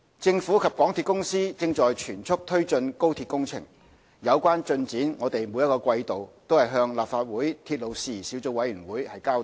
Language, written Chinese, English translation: Cantonese, 政府及香港鐵路有限公司正全速推進高鐵工程，有關進展我們每季度均向立法會鐵路事宜小組委員會交代。, The Government and the MTR Corporation Limited are pressing ahead in full speed with the works on the XRL the progress of which is reported to the Subcommittee on Matters Relating to Railways of the Legislative Council quarterly